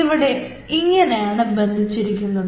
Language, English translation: Malayalam, ok, ok, this is how it is attached